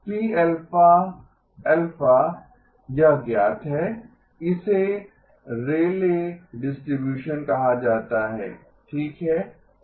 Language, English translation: Hindi, This is known, it is called a Rayleigh distribution okay